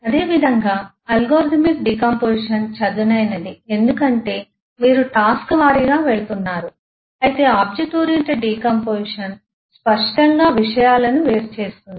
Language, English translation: Telugu, Similarly eh algorithmic decomposition eh is flat because you are going task wise whereas object oriented decomposition can clearly take the separation of concerns